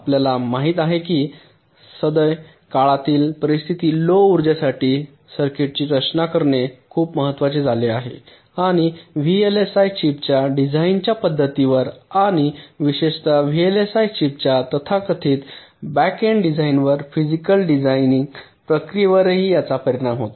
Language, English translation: Marathi, ah, as you know, designing a circuits for low power has become so much very important in the present day scenario and it also affects the way vlsi chips are designed and also, in particular, the physical design process, the so called back end design of the vlsi chips, the way they are done today